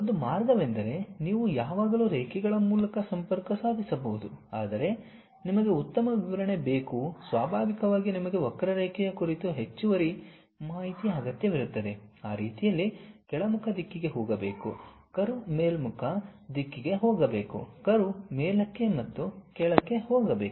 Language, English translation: Kannada, One way is you can always connect by lines, but you want better description naturally you require additional information on the curve has to go downward direction in that way, the curve has to go upward direction, the curve has to go upward direction and downward direction